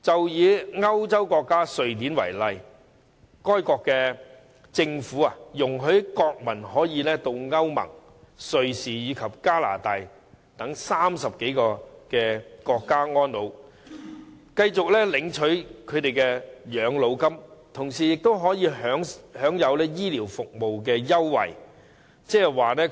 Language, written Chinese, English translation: Cantonese, 以歐洲國家瑞典為例，該國政府容許國民可以到歐洲聯盟、瑞士及加拿大等30多個國家安老，繼續領取他們的養老金，同時可以享有醫療服務優惠。, For example in the case of Sweden an European country their government allows its nationals to live their twilight years in some 30 countries including those in the European Union EU Switzerland and Canada while continuing to receive old - age pensions and enjoy concessionary charges for health care services